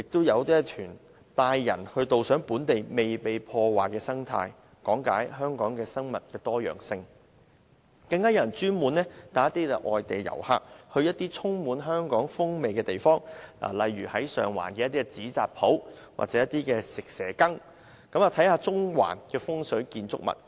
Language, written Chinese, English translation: Cantonese, 此外，有團體會安排導賞本地未被破壞的生態，講解香港的生物多樣性，更有人會專門帶外地遊客前往一些充滿香港風味的地方，例如到上環的紙扎鋪、蛇羹店，以及到中環看看風水建築物。, Moreover some groups organize tours to ecological habitats which have not yet been destroyed and explained to participants the biological diversity of Hong Kong . Some will even take foreign visitors to places showcasing Hong Kongs characteristics such as paper crafting shops in Sheung Wan snake soup shops and fung shui buildings in Central